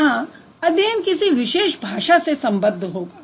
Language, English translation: Hindi, So, here the study is going to be related to particular languages